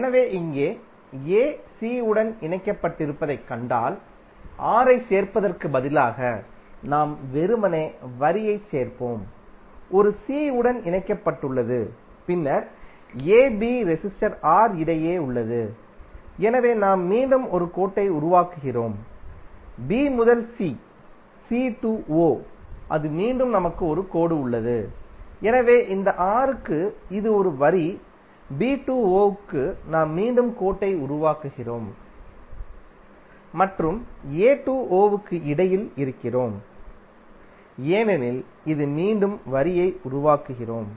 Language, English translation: Tamil, So here if you see a is connected to c, so instead of adding R we are simply adding the line, a is connected to c then between ab resistor R, so we are again creating a line, b to c we are connecting the line, c to o that is again we have one line, so for this R it is the line, for b to o we are again creating the line and between a to o because this is the voltage source we are again creating the line